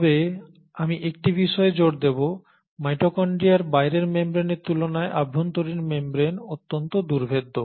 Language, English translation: Bengali, But I will insist on one thing; the inner membrane is highly impermeable compared to the outer membrane of the mitochondria